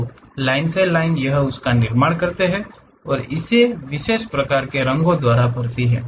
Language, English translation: Hindi, So, line by line it construct it and fills it by particular kind of colors